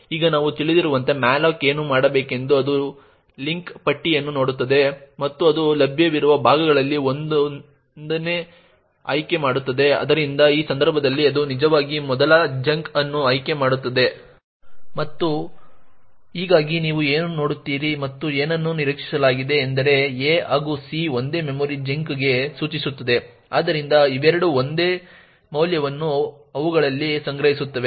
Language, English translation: Kannada, Now as we know what malloc would do is that it would look into the link list and it would pick one of the chunks which is available, so in this case it would actually pick the first chunk which is a and thus what you would see and what is expected is that a as well as c would point to the same memory chunk, so both of them would have the same value stored in them